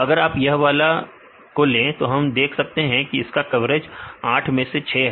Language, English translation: Hindi, If you take this one then we can see the coverage of 6 for 8 right